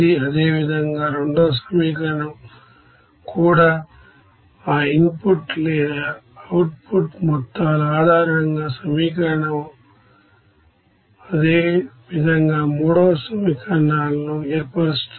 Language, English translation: Telugu, Similarly the second equation also based on that input or output amounts that equation can be formed similarly third equations